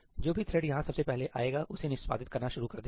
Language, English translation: Hindi, Whichever thread comes here first will start executing it